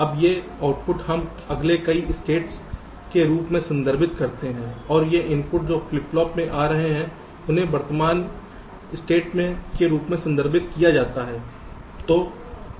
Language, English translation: Hindi, now these outputs we refer to as the next state, and these inputs that are coming from the flip flop, they are referred to as the present state